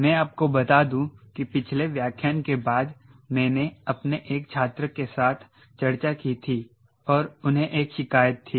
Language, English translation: Hindi, ah, and let me, let let me tell you, after the last lecture i had a discussion with my one of my students and he had a complaint